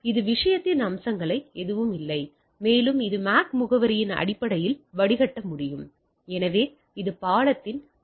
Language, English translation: Tamil, So, that is none of the aspect of the thing and it can filter based on the MAC address, so that is the another property of bridging